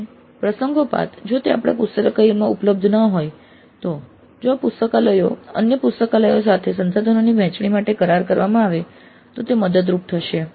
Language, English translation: Gujarati, And occasionally if it is not available in our library, if there is an agreement of this library with other libraries to share the resources, then it would be helpful